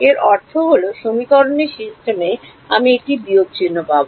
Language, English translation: Bengali, It will I mean I will get a minus sign in the system of equations